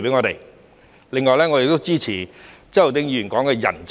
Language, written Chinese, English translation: Cantonese, 另外，我們亦支持周浩鼎議員提到的吸引人才。, In addition we support the idea of attracting talents as mentioned by Mr Holden CHOW